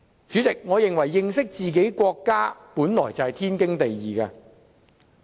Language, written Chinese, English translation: Cantonese, 主席，我認為認識自己的國家，本來就是天經地義的事情。, President I think it is naturally perfectly justified for us to know our country